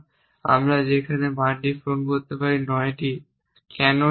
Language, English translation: Bengali, We can fill in the value there t is 9, why t 9